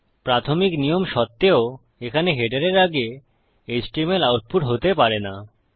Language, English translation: Bengali, Despite the initial rule of no html output before header up here